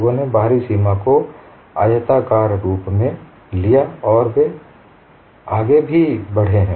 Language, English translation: Hindi, People have taken the outer boundary, as rectangle and they have also proceeded